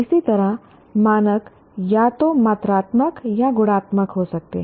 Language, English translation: Hindi, Similarly, the standards may be either quantitative or qualitative